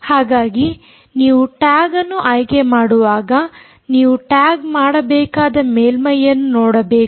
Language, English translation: Kannada, so when you want to choose a tag, you have to look at the surface